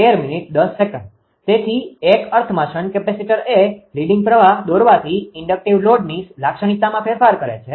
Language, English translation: Gujarati, So, in a sense shunt capacitor modify the characteristic of an inductive load by drawing a leading current